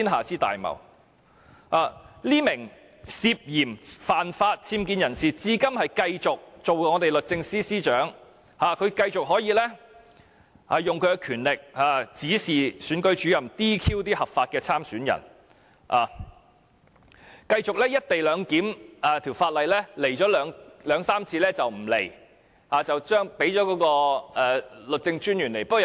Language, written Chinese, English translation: Cantonese, 這名涉嫌犯法僭建人士，至今仍然繼續擔任我們的律政司司長，繼續運用她的權力，指示選舉主任 "DQ" 合法的參選人；而就"一地兩檢"相關法例的會議，她又只出席了兩三次便不再來，轉派律政專員出席。, This person who is a suspected law offender engaging in UBWs now continues to serve as our Secretary for Justice and continues to use her power to instruct Returning Officers to disqualify legitimate candidates in elections . As for the meeting addressing the laws relating to the co - location arrangement she quit coming after attending the meeting two or three times and sent the Law Officer to attend the meeting instead